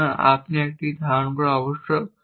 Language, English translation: Bengali, So, you must be holding a